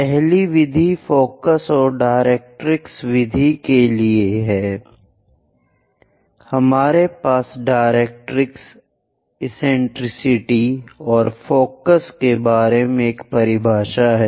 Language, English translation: Hindi, For the first method focus and directrix method, we have a definition about directrix, eccentricity and focus